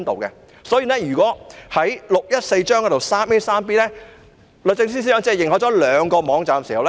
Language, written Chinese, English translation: Cantonese, 根據第614章第 3a 和 b 條，律政司司長只認可兩個網站。, According to sections 3a and b of Cap . 614 only two websites have been approved by the Secretary for Justice